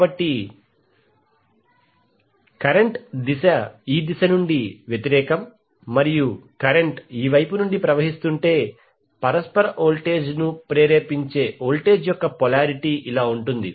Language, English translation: Telugu, So suppose if the direction of the current is opposite and current is flowing from this side in that case the polarity of the voltage that is induced mutual voltage would be like this